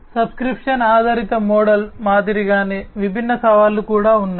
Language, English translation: Telugu, So, similarly, similar to the subscription based model, there are different challenges also